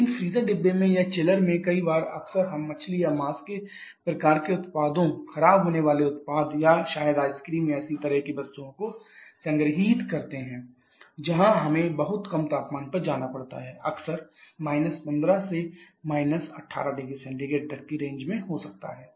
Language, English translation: Hindi, But in the freezer compartment or in the chillers very quite often we store the fish or meat kind of products perishable products or maybe ice creams or similar kind of items there we have to go to much lower temperature quite often a temperature may be in the range of 15 to 18 degree Celsius